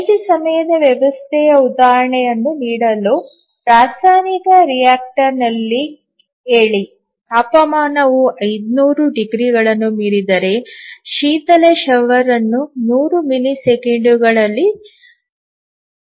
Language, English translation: Kannada, Just to give an example of a real time system let us say that in a chemical reactor if the temperature exceeds 500 degrees, then the coolant shower must be turned down within 100 milliseconds